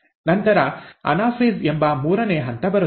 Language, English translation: Kannada, Then comes the third step which is the anaphase